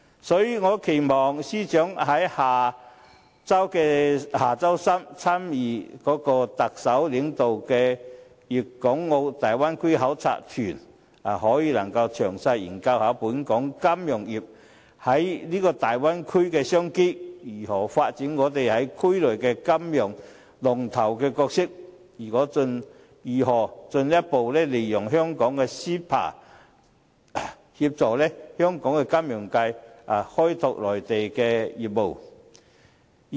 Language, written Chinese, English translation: Cantonese, 所以，我期望司長在下周三參與特首領導的粵港澳大灣區考察團時，可以詳細研究本港金融業在這大灣區的商機，如何發展我們在區內的金融龍頭角色，以及如何進一步利用香港的 CEPA 協助本地金融界開拓內地業務。, Hence when the Financial Secretary joins the delegation to visit the Guangdong - Hong Kong - Macao Bay Area led by the Chief Executive next Wednesday I expect that he will study in detail what business opportunities are available for Hong Kongs financial industry in the Bay Area how to develop our leading financial role in the Area as well as how to further make use of Hong Kongs CEPA to help the local financial sector develop business in the Mainland